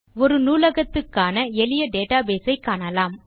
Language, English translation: Tamil, Let us consider a simple database for a Library